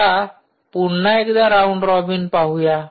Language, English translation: Marathi, so now we go for round robin, open again